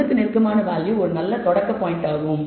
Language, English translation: Tamil, A value close to one is a good starting point